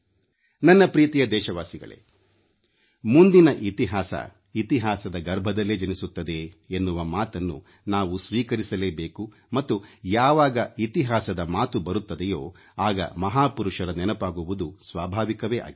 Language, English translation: Kannada, My dear countrymen, we will have to accept the fact that history begets history and when there is a reference to history, it is but natural to recall our great men